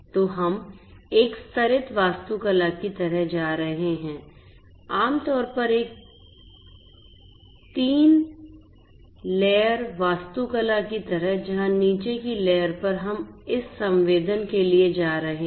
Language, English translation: Hindi, So, we are going to have kind of a layered architecture typically like a 3 layer kind of architecture 3 layered architecture, where at the bottom layer we are going to have this sensing so, this is going to be our sensing or perception layer